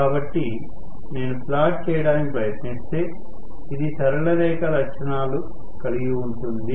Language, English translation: Telugu, So, if I try to plot, this will be straight line characteristics